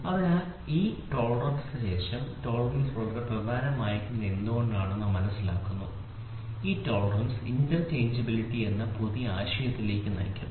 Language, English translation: Malayalam, So, after this tolerance and why all these tolerance very important, this tolerance leads to a new concept called as interchangeability